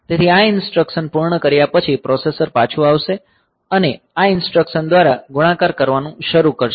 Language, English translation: Gujarati, So, after completing this instruction the processor will come back and start this multiply ab this instruction